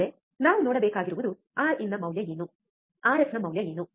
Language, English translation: Kannada, Next, what we have to see next is, what is the value of R in, what is the value of R f